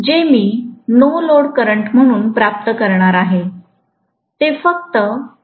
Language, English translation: Marathi, What I am going to get as a no load current is only 0